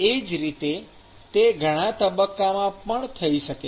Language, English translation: Gujarati, Similarly, it can also occur in multiple phases